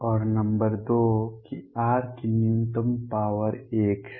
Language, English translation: Hindi, And number two that the lowest power of r is 1